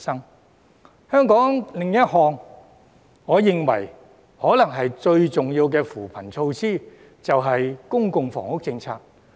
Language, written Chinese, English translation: Cantonese, 在香港而言，另一項我認為最重要的扶貧措施，便是公共房屋政策。, In the specific context of Hong Kong another poverty alleviation measure that I think is the most important is the public housing policy